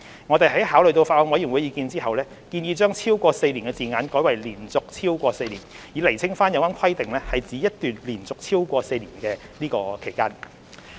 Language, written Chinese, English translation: Cantonese, 我們在考慮法案委員會的意見後，建議將"超過4年"的字眼改為"連續超過4年"，以釐清有關規定是指一段連續超過4年的期間。, Having considered the views of the Bills Committee we propose to replace the phrase a period of more than four years with a continuous period of more than four years to make it clear that it refers to a continuous period of more than four years